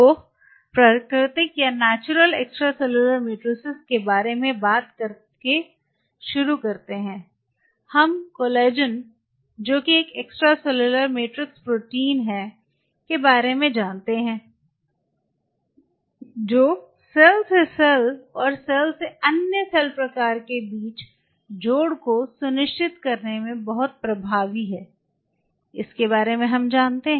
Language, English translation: Hindi, So, talking about the natural ones to start off with we are aware about Collagen matrix protein extracellular matrix protein which is very dominant in ensuring the anchorage between cell to cell and cell to other cell type and collagen has several types